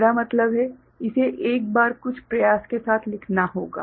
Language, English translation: Hindi, I mean it has to be written once with some effort